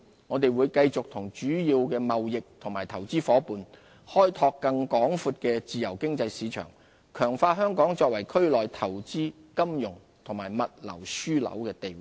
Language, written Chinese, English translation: Cantonese, 我們會繼續與主要貿易和投資夥伴，開拓更廣闊的自由經濟市場，強化香港作為區內投資、金融及物流樞紐的地位。, We will continue to work with our major trading and investment partners to open up more markets and remove market impediments so as to strengthen our status as an investment financial and logistics hub in the region